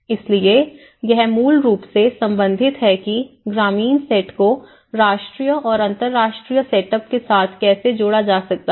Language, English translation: Hindi, So, it basically it is relating how rural set up could be linked with much more of a national and international setups